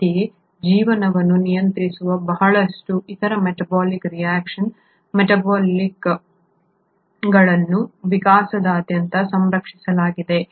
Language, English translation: Kannada, Similarly, a lot of other metabolic reactions which govern life are also conserved across evolution